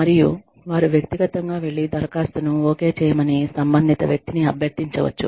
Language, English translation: Telugu, And, they can personally go and request, the person concerned, to okay the application